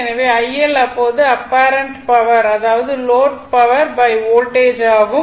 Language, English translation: Tamil, So, IL will be your what you call apparent power of load by Voltage